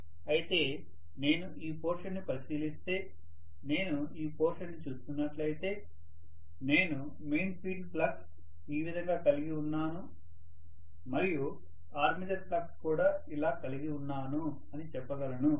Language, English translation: Telugu, Whereas if I look at this portion, if I am looking at this portion I can say I am having the main field flux like this and the armature flux is also like this